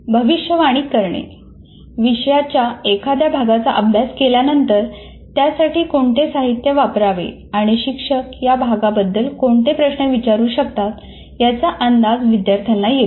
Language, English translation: Marathi, After studying a section of the content, the students predict the material to follow and what questions the teacher might ask about the content